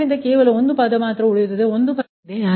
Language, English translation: Kannada, so only here, only one term will be remain, one term will be there